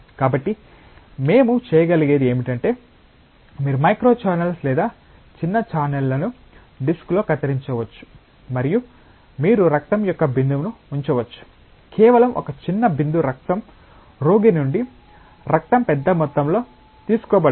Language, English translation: Telugu, So, what we can do is, you can have micro channels or small channels a cut in the disk and you put a droplet of blood, just a small droplet of blood not a huge volume of blood drawn from the patient